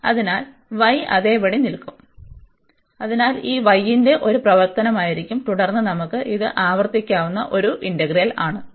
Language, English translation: Malayalam, So, the y will remain as it is so this will be a function of y and then we can so this is a repeated integral